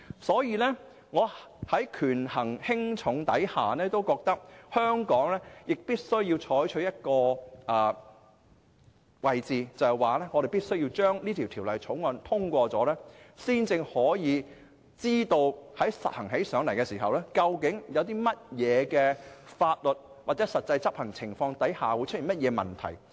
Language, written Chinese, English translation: Cantonese, 所以，在權衡輕重後，我認為香港必須採取的立場是應該通過《條例草案》，這樣才能知道在實行時究竟會在何種法律或實際執行情況下，出現何種問題。, Therefore after weighing the pros and cons I think that Hong Kong should first pass the Bill because it is only in this way that we can find out what legal and practical problems may arise when enforcing the legislation